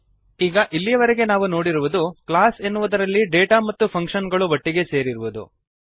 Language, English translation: Kannada, So far now we have seen, The data and functions combined together in a class